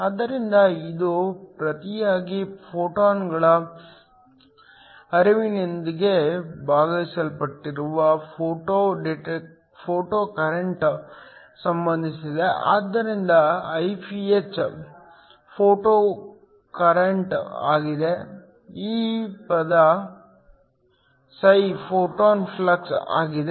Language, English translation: Kannada, So, This in turn is related to the photo current divided by the flux of the photons, so Iph is the photo current; this term φ is the photon flux